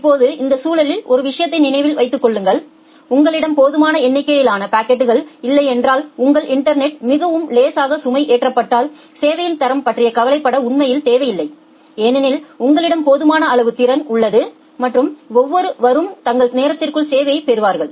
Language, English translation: Tamil, Now, in this context remember one thing that if you do not have sufficient number of packets and if your network is very lightly loaded then it does not matter actually, then quality of service indeed does not matter because you have a sufficient amount of capacity and everyone will get served within their time bound